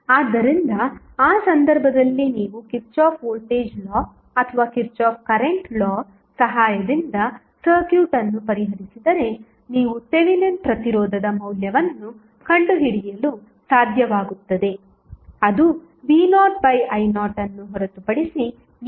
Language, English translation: Kannada, So, in that case if you solve the circuit with the help of either Kirchhoff Voltage Law or Kirchhoff Current Law you will be able to find out the value of Thevenin resistance which would be nothing but v naught divided by I naught